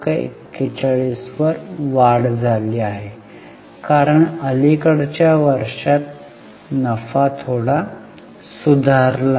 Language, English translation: Marathi, 41, it has gone up now because recent years the profitability is bit improved